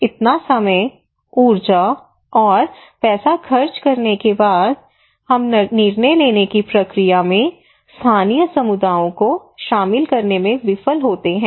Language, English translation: Hindi, Why after spending so much of time, energy and money, we fail to incorporate communities local communities into the decision making process